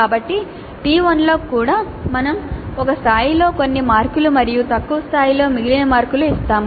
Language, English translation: Telugu, So, in T1 also we have done certain marks at one level and remaining marks at lower level